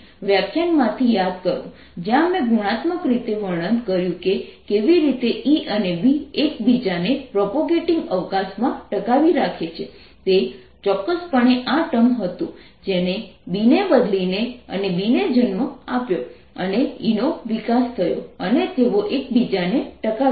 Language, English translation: Gujarati, recall from the lecture where i qualitatively described how e and b sustain each other in propagating space, it was precisely this term that gave rise to b and changing b then gave rise to e and they sustain each other